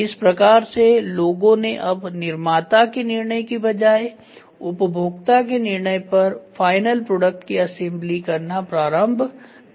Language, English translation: Hindi, People are slowly started assembling the final product at the customer end rather than manufacturers end